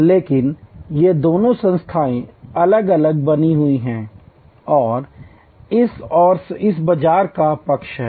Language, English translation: Hindi, But, these two entities remain distinctly separated and this side marketed to this side